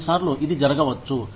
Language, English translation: Telugu, Sometimes, this may happen